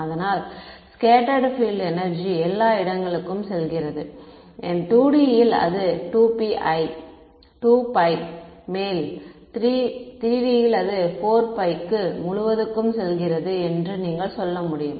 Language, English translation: Tamil, So, the scattered field energy is going everywhere, in 2 D its going over 2 pi, in 3 D its going over the entire 4 pi you can say